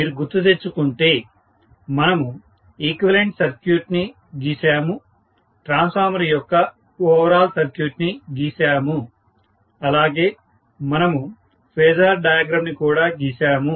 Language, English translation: Telugu, If you may recall, we had drawn the equivalent circuit, overall equivalent circuit of the transformer, we also drew the phasor diagram